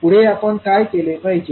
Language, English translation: Marathi, What we have to do